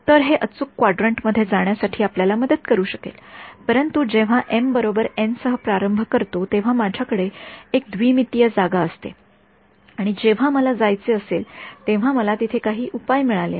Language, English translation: Marathi, So, it may help you in sort of getting into the right quadrant, but the problem is when I start with m equal to n, I have an m dimensional space and I have got some solution over there now when I want to go for a higher resolution let us say I go to you know 100 m